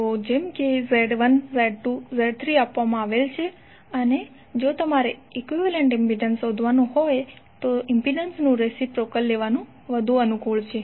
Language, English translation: Gujarati, So if it is Z1, Z2, Z3 the equivalent impedance if you have to find out it is better to take the reciprocal of impedances